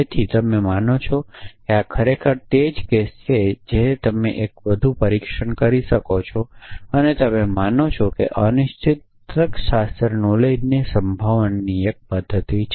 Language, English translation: Gujarati, So, you believe that that this is the really the case you may be you do one more test and you belief increases probabilistic reasoning is 1 mechanism for handling uncertain logic knowledge essentially